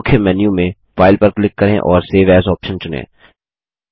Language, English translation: Hindi, Click on File in the Main menu and choose the Save as option